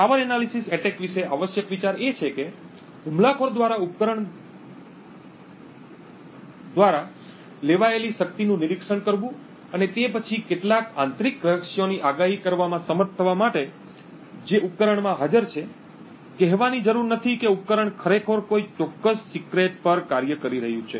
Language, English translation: Gujarati, The essential idea about a power analysis attack is for the attacker to monitor the power consumed by the device and then be able to predict some internal secrets which are present in the device, needless to say what is required is that the device is actually operating on that particular secret